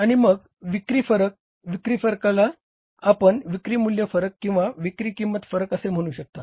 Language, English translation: Marathi, Sales variances are you can say sales value variance and sales price variance